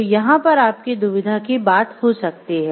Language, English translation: Hindi, So, these could be your point of dilemma over here